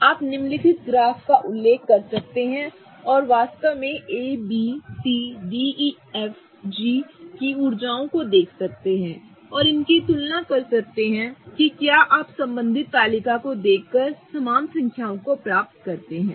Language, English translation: Hindi, You can refer to the following graph and really look at the energies of A, B, C, D, E, F, G and really correlate it whether you get to the same numbers by looking at the corresponding table